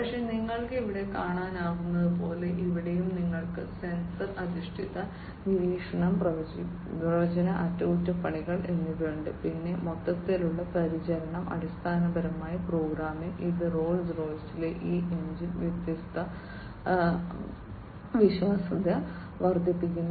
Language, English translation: Malayalam, But, as you can see over here; here also you have sensor based monitoring, predictive maintenance, then total care is basically there program, which increases this engine reliability in Rolls Royce